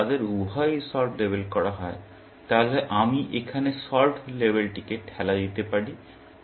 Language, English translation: Bengali, If both of them are labeled solved, then I can push the solved label here